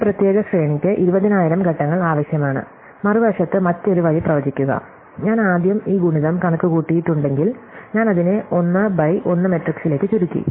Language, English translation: Malayalam, So, together this particular sequence requires 20,000 steps, if I did the other way on the other hand, if I computed this product first, then I have collapse it to a simple 1 by 1 matrix